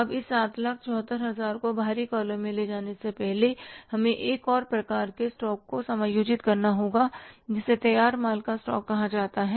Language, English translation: Hindi, Now before taking this 7,s to the outer column, we will have to adjust one more type of the stock that is called as the stock of finish goods